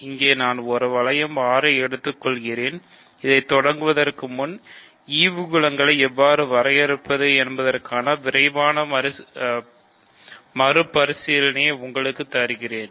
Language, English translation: Tamil, So, here I take a ring R so, before I start this let me give you a quick recap of how do we define quotient groups